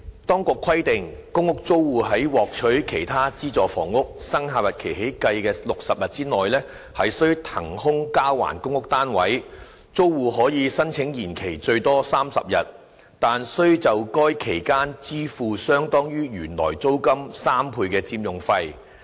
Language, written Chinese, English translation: Cantonese, 當局規定，公屋租戶在獲取其他資助房屋生效日期起計的60天內須騰空交還公屋單位；租戶可申請延期最多30天，但須就該期間支付相當於原來租金3倍的佔用費。, The authorities have stipulated that tenants of public rental housing PRH are required to vacate and surrender their PRH flats within 60 days from the date of having acquired another form of subsidized housing; and tenants may apply for an extended stay of up to 30 days but have to pay an occupation fee equivalent to three times of the normal rent for that period